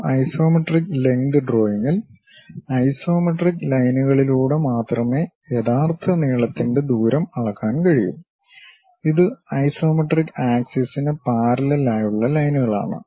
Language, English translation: Malayalam, In an isometric drawing, true length distance can only be measured along isometric lengths lines; that is lines that run parallel to any of the isometric axis